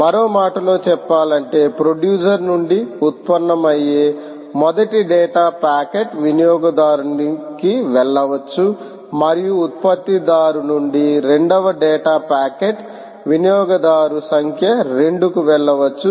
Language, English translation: Telugu, in other words, the first data packet that arise from a producer can go to consumer one and the second data packet from producer can go to consumer number two